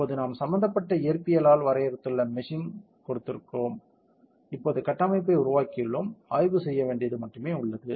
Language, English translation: Tamil, Now we have given the meshing we have define the physics involved, we have made the structure now the only thing left is to do perform the study